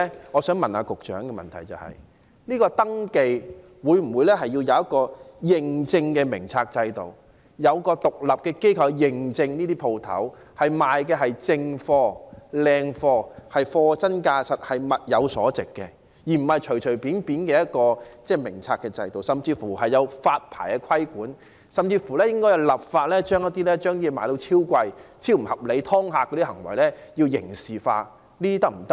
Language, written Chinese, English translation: Cantonese, 我想問局長，第一，會否就店鋪的登記設立一個認證制度，由獨立的機構對店鋪進行認證，確認它們售賣的是正貨、優質貨，是貨真價實、物有所值的，而不是隨便的一個名冊制度，甚至可否發牌規管，進一步來說更應該立法將貨物賣得"超貴"、超不合理、"劏客"的行為刑事化？, May I ask the Secretary the following questions instead of compiling a list of registered shops will the Government establish an accreditation system for shop registration whereby accreditation is granted by an independent organization which would provide assurance that the goods sold at accredited shops are genuine goods that are of good quality and fairly priced? . Will the Government consider regulating such shops through a licensing system? . Will the Government go even further by criminalizing the acts of charging extortionate and utterly unreasonable prices for goods and the act of fleecing customers?